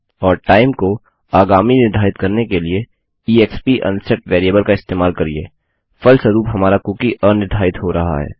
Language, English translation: Hindi, And use exp unset variable to set it to a time in the future, thereby unsetting our cookie